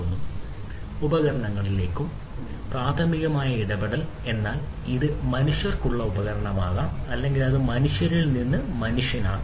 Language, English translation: Malayalam, Interaction primarily between devices device to device, but it could also be device to humans or it could be even human to human right